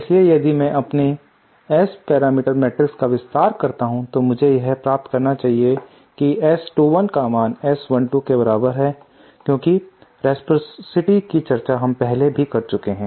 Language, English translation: Hindi, So if I expand my S parameter matrix then I should get this S 2 1 is equal to S 1 2 because of the reciprocity as we have already discussed